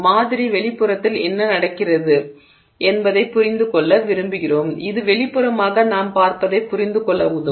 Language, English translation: Tamil, We would like to understand what is happening internal in the sample, interior to the sample, that may help us understand what we are seeing externally